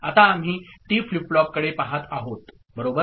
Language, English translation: Marathi, Now, we look at the T flip flop right